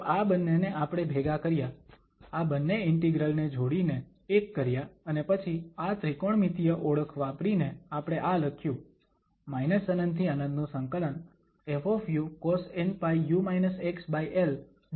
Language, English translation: Gujarati, So, we have clubbed these two, we have joined these two integrals in to one and then using this trigonometric identity we have written this f u cos n pi over l and u minus x du